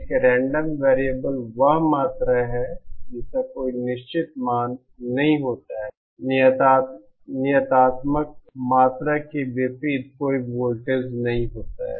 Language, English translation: Hindi, A random variable is a quantity which does not have any fixed value unlike deterministic quantities say a voltage